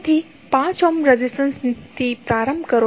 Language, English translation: Gujarati, So, start with the 5 ohm resistance